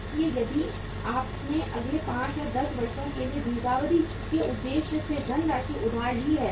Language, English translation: Hindi, So if you have borrowed the funds for the long term purpose it means for next 5, 10 years